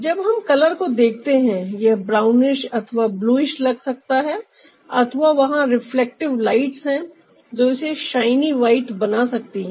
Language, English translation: Hindi, so when we look at a color, it may look brownish, bluish, or there are reflective lights that can make it ah shiny white